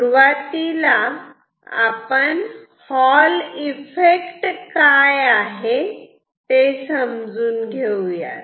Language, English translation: Marathi, Let us first understand what is Hall effect